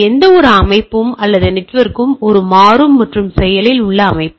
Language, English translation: Tamil, That any system or network is a dynamic and active system, right